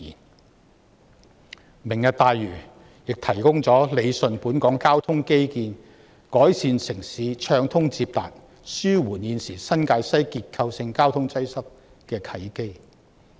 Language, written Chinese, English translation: Cantonese, 此外，"明日大嶼願景"提供了理順本港交通基建、改善城市暢通接達及紓緩現時新界西結構性交通擠塞的契機。, In addition the Lantau Tomorrow Vision presents the opportunity for Hong Kong to rationalize its transport infrastructure improve urban accessibility and relieve the existing structural traffic congestion in New Territories West